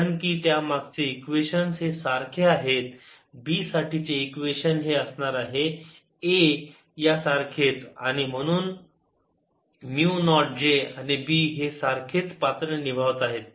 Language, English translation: Marathi, since the underlying equations are the same, the equation for b is going to be the same as the equation for a, with mu naught j and b playing similar roles